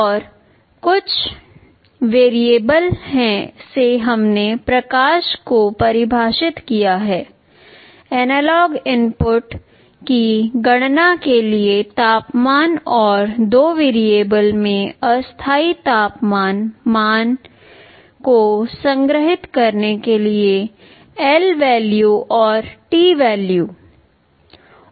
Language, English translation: Hindi, And some variables we have defined light, temper for calculating the analog inputs, and lvalue and tvalue to store temporary temperature value in two variables